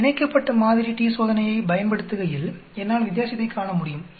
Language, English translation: Tamil, When I use a paired sample t Test, I am able to see the difference